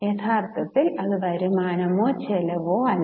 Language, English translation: Malayalam, Actually it is neither, it is neither income nor expense